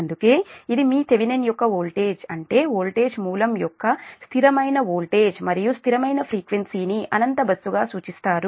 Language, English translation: Telugu, that's why this, your, your, the thevenin's voltage, such a voltage, source of constant voltage and constant frequency, is referred to as an infinite bus